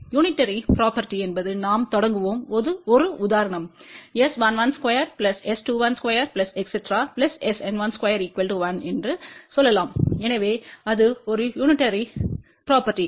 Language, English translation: Tamil, Unitary property is that we will start with an example let us say S 11 square plus S 21 square plus S N1 square is equal to 1